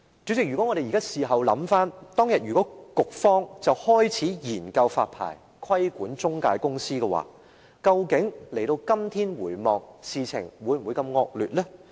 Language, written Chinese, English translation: Cantonese, 主席，事後回想，如果當日局方已開始研究發牌，規管中介公司，今天的情況會否如此惡劣呢？, President in retrospect had the authorities started studying the licencing regime to regulate intermediary companies would the situation have become so worse today?